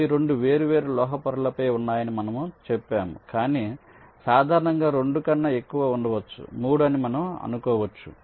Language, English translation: Telugu, we told that they are located on two different metal layers, but in general there can be more than two